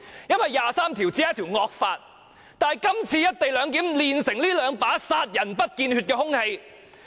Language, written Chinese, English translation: Cantonese, 因為第二十三條只是一條"惡法"，但今次"一地兩檢"煉成這兩把殺人不見血的兇器。, It is because Article 23 is only a draconian law . But this time around the co - location has forged two lethal weapon which could kill without leaving a trace of blood